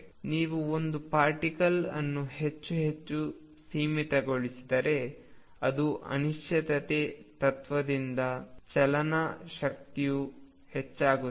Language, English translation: Kannada, So, if you confine a particle more and more it is kinetic energy tends to increase because of the uncertainty principle